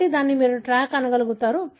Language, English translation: Telugu, So, this you are able to track